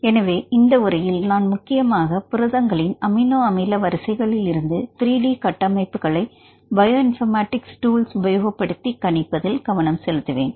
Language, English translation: Tamil, So, in this class I will mainly focus on predicting the 3 D structures of proteins for amino acid sequence and using that bioinformatics tools